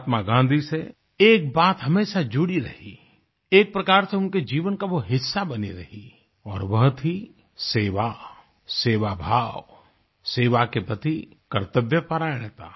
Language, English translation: Hindi, One attribute has always been part & parcel of Mahatma Gandhi's being and that was his sense of service and the sense of duty towards it